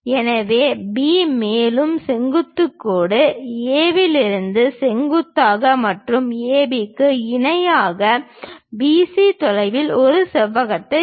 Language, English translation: Tamil, So, B also perpendicular line; from A also perpendicular line and parallel to AB, draw at a distance of BC this rectangle